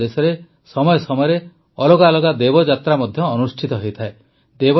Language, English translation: Odia, In our country, from time to time, different Devyatras also take place